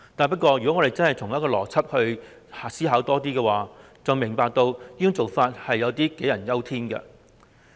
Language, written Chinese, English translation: Cantonese, 不過，只要切實作出更多邏輯思考，便會明白這種想法未免是杞人憂天。, However more logical thinking will make us realize that this is nothing but an uncalled for worry